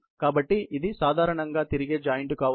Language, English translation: Telugu, So, this can be typically, a revolving joint